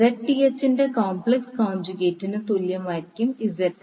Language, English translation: Malayalam, ZL will be equal to complex conjugate of Zth